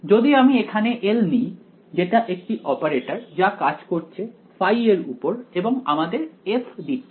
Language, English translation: Bengali, So, capital L over here this is some operator acting on phi and giving f